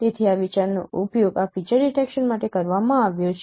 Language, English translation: Gujarati, So, so this idea has been used to in particular this feature detection